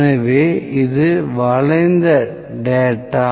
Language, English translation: Tamil, So, this is skewed data